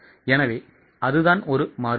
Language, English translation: Tamil, So, that is what is a variance